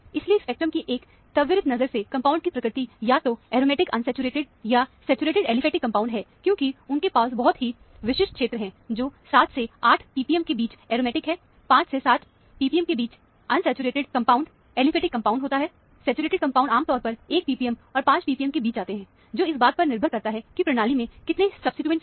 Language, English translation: Hindi, So, from a quick glance of the spectrum, ascertain the nature of the compound to be either aromatic unsaturated, or saturated aliphatic compound, because they have very characteristic region, between 7 to 8 p p m is aromatic; between 5 to 7 p p m is unsaturated compound, aliphatic compounds; saturated compounds typically come between 1 p p m and 5 p p m or so, depending on how many substituents are present in the system